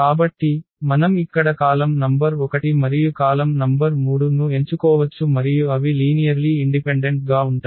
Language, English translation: Telugu, So, a straight forward we can pick the column number 1 here and the column number 3 and they will be linearly independent